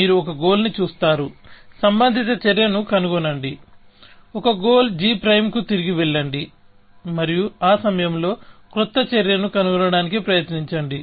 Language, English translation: Telugu, So, you look at a goal, find a relevant action, regress to a goal g prime, and try to find a new action at that point